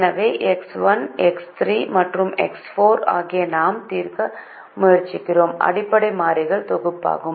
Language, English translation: Tamil, so x one, x three and x four are the set of basic variables that we are trying to solve